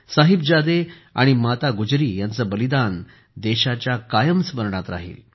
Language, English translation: Marathi, The country will always remember the sacrifice of Sahibzade and Mata Gujri